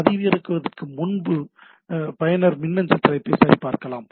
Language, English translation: Tamil, User can check email header before downloading, right